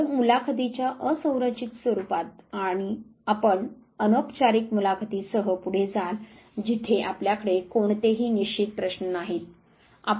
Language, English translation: Marathi, So, in the unstructured format of the interviews you go ahead with informal interviews where you have no fixed questions